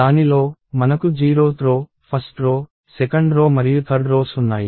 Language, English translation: Telugu, And within that, I have 0 th row, 1 th row, 2 th row and 3 th row